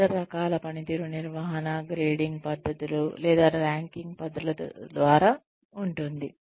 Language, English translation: Telugu, The other type of performance management, that we have is, by grading methods, or ranking methods